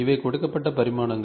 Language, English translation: Tamil, So, these are the dimensions which are given